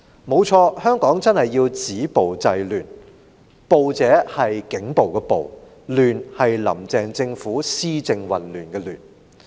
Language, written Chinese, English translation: Cantonese, 沒錯，香港真的需要止暴制亂，但"暴"是警暴的暴，"亂"則是"林鄭"政府施政混亂的亂。, Yes Hong Kong certainly should stop violence and curb disorder . But then violence here means police violence and disorder refers to that in governance created by the Carrie LAM administration